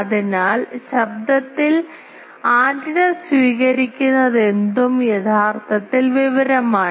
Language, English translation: Malayalam, So, for that whatever antenna is receiving in the noise that is actually information